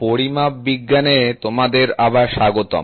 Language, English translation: Bengali, Welcome back to this course on Metrology